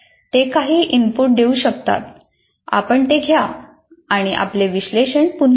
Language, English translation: Marathi, And then if they may give some inputs, you make that and again redo, redo your analysis